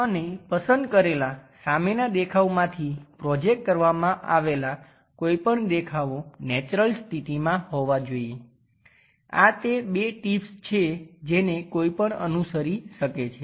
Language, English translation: Gujarati, And any adjacent views project from selected front view should be appeared in a natural position these are the two tips what one can follow